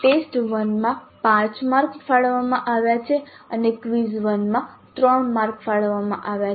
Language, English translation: Gujarati, In test one five marks are allocated and in quiz 1 3 marks are allocated